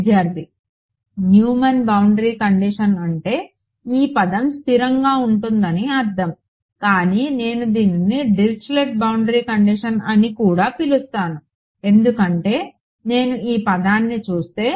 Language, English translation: Telugu, Neumann boundary condition is would mean that this term is constant, but this if I can also call it a Dirichlet boundary condition because if I look at this term